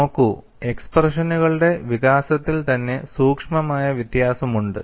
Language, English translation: Malayalam, See, there is a subtle difference in the development of the expressions itself